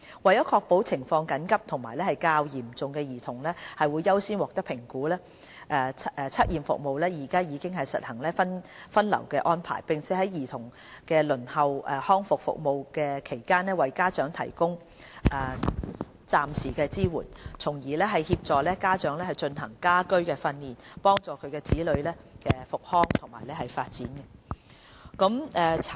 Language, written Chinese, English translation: Cantonese, 為確保情況緊急和較嚴重的兒童會優先獲得評估，測驗服務現已實行分流安排，並在兒童輪候康復服務期間為家長提供暫時支援，從而協助家長進行家居訓練，幫助其子女康復和發展。, CAS has already adopted a triage system to ensure that children with urgent and more serious conditions are accorded with higher priority in assessment . While children await rehabilitation services DH will provide temporary support to their parents to enable parents to provide home - based training to facilitate the development and growth of the children